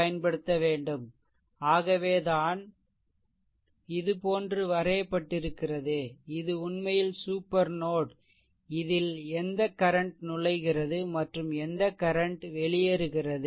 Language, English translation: Tamil, So, that is why I I have drawn like this and this is actually supernode that which current is entering and which current is leaving, right